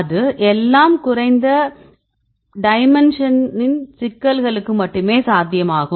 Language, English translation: Tamil, And all it is feasible only for low dimension problems